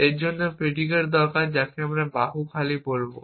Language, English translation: Bengali, I need a predicate for that which we will call arm empty